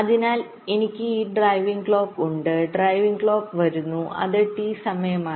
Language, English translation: Malayalam, take this example: so i have this driving clock, driving clock it comes, t is the time period